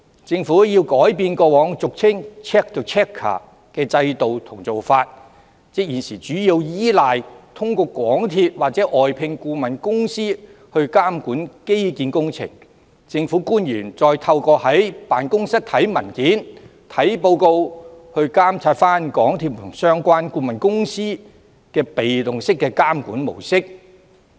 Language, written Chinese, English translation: Cantonese, 政府需要改變過往俗稱 check the checker 的制度和做法，即現時主要依賴通過港鐵或外聘顧問公司監管基建工程，而政府官員透過在辦公室閱讀文件和報告來監察港鐵和相關顧問公司的被動式監管模式。, It warrants a review too . The Government needs to change the old system and approach commonly known as check the checker that is the present passive regulatory approach under which it mainly relies on MTRCL or external consultants to oversee infrastructural projects and the government officials monitor MTRCL and the consultants concerned by reading papers and reports in the office